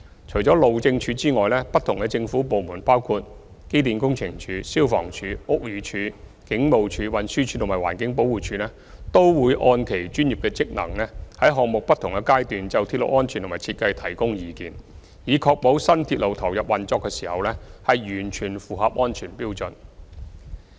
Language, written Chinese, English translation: Cantonese, 除了路政署外，不同的政府部門包括機電工程署、消防處、屋宇署、警務處、運輸署及環境保護署等，均會按其專業職能，在項目的不同階段就鐵路安全和設計提供意見，以確保新鐵路投入運作時已完全符合安全標準。, In addition to HyD different government departments including the Electrical and Mechanical Services Department EMSD the Fire Services Department the Buildings Department the Police Force the Transport Department TD and the Environmental Protection Department will provide advice on railway safety and design at various stages of the project according to their professional functions so as to ensure that the new railway fully complies with safety standards when it comes into operation